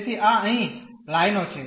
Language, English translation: Gujarati, So, these are the lines here